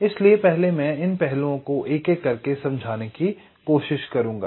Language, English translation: Hindi, so i shall be trying to explain this points one by one